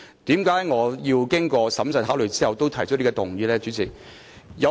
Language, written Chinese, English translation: Cantonese, 為何我經過審慎考慮後仍提出這項議案呢？, Why did I still propose this motion after prudent consideration?